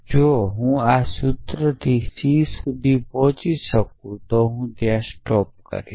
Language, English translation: Gujarati, So, if I can reach this formula c then I have stopped